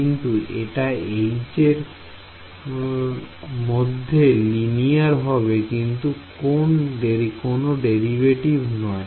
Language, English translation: Bengali, Yeah I mean, but linear in H is not some derivative in H right